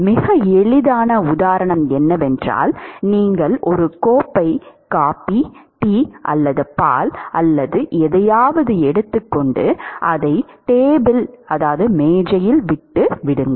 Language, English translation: Tamil, A very easy example is you take a cup of coffee tea or milk or whatever and just leave it on the table